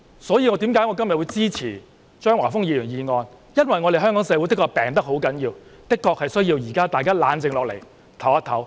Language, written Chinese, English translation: Cantonese, 所以，我今天支持張華峰議員的議案，因為香港社會的確病入膏肓，大家現在的確需要冷靜下來，休息一下。, Hence today I support Mr Christopher CHEUNGs motion because Hong Kong society is indeed critically ill Now we do need to calm down and pause for a while